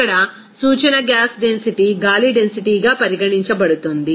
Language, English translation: Telugu, Here reference gas density is considered air density